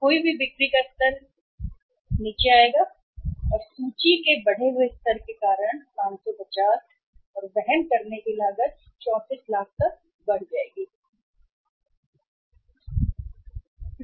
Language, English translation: Hindi, Level of lost sales will come down because of the increased level of inventory to 550 and the carrying cost will go up that is up to 34 lakhs